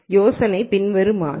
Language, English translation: Tamil, The idea here is the following